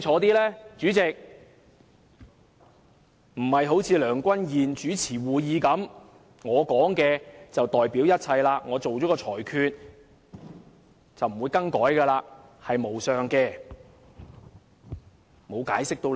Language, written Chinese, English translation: Cantonese, 代理主席，不要像梁君彥議員主持會議般，他所說的便代表一切，他的裁決是無上的，不會更改的，也不用解釋理據。, Deputy Chairman please do not adopt Mr Andrew LEUNGs style of chairing . To him what he says are representative of the Council and what he rules are unchallengeable and unalterable without any need for explanations or justifications